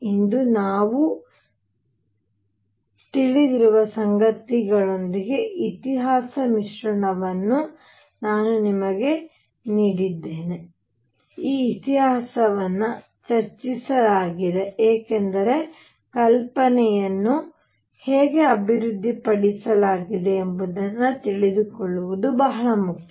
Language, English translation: Kannada, I have given you the piece of history mix with what we know today, that this history is discussed because it is important to know how idea is developed